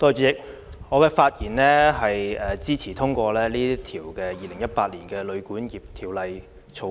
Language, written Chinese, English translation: Cantonese, 主席，我發言支持通過《2018年旅館業條例草案》。, President I rise to speak in support of the passage of the Hotel and Guesthouse Accommodation Amendment Bill 2018 the Bill